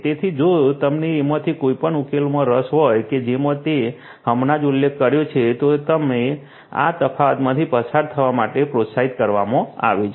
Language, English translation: Gujarati, So, if you are interested about any of these solutions that I just mentioned you are encouraged to go through these differences